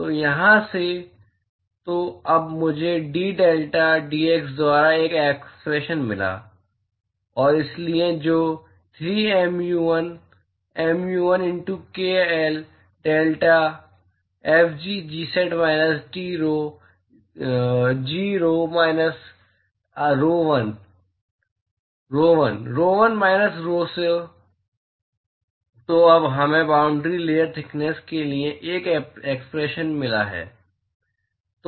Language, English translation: Hindi, So, from here; so, now, I have got an expression for d delta by dx and so, that is given by 3 mu l mu l into k l divided by delta f g Tsat minus Ts divided by rho l; g rho v minus rho l